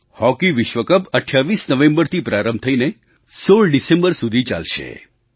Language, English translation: Gujarati, The Hockey World Cup will commence on the 28th November to be concluded on the 16th December